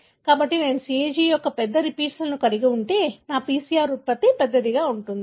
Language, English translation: Telugu, So, if I have a larger repeats of CAG, my PCR product would be larger